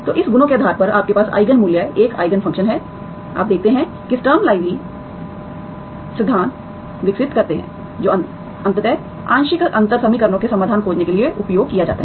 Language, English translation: Hindi, So you have, so based on this property that you have eigenvalues an Eigen functions, you see that the Sturm Louiville, you develop the Sturm Louiville theory which is eventually we used to find the solutions of the partial differential equations, okay